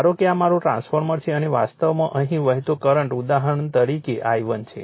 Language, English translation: Gujarati, Suppose this is my, this is my transformer, right and current actually flowing here is say I 1 for example,